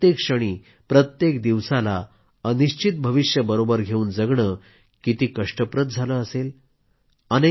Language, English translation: Marathi, How painful it would have been to spend every moment, every day of their lives hurtling towards an uncertain future